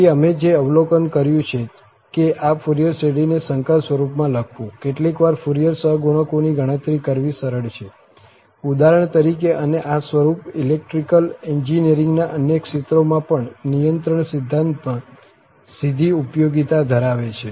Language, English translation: Gujarati, So, what we have observed that writing this Fourier series in complex form has its, sometimes, it is simple to compute the Fourier coefficients, for example, and this form has also direct applications in the control theory also, in other area of electrical engineering